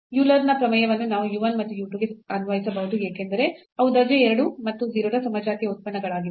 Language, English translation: Kannada, So, the Euler’s theorem we can apply on u 1 and u 2 because they are the homogeneous functions of order 2 and 0